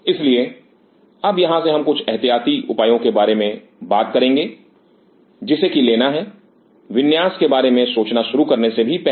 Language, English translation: Hindi, So, from here now we will talk about some of the precautionary measure what has to be taken even before you start thinking about the layout